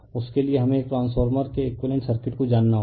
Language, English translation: Hindi, For that we need to know the equivalent circuit of a transformer, right